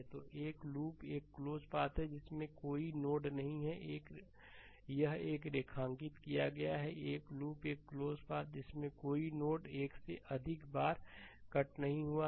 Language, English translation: Hindi, So, a loop is a close path with no node I have underlined this, a loop is a close path with no node passed more than once